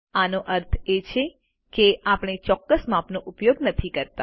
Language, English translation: Gujarati, This means we do not use exact measurements